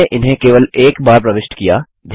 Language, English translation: Hindi, We enter them only once